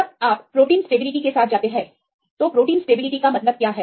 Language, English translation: Hindi, When you go with the protein stability right what is the protein stability means